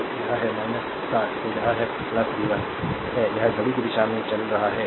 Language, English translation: Hindi, So, it is minus 60 , then it is plus v 1, it is encountering moving clock wise